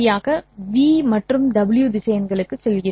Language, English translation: Tamil, I take the vector W and then I have the vector V